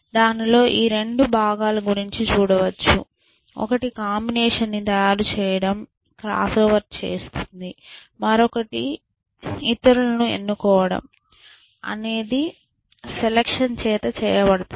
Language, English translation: Telugu, So, you can see this 2 components of it talked about, one makes up the combination is being done by the cross over part, and this the other chooses is being done by the selection part essentially